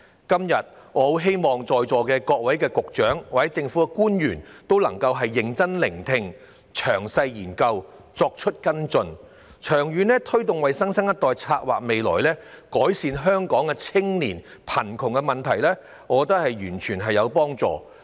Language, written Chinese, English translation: Cantonese, 今天，我希望在座各位局長及政府官員均會認真聆聽，詳細研究，作出跟進，為新生代長遠地策劃未來，改善香港青年的貧窮問題，我認為這對社會有幫助。, Today I hope that all Directors of Bureaux and government officials in this Chamber will listen seriously and study carefully to follow up on the matter . Making long - term plans for the new generation and improving the youth poverty problem in Hong Kong is in my opinion beneficial to the community